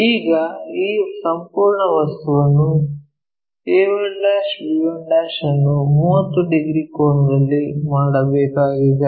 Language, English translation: Kannada, Now this entire object this entire object a 1 c, a 1 b has to be made into 30 degrees angle